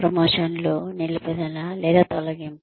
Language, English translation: Telugu, Promotions, Retention or Termination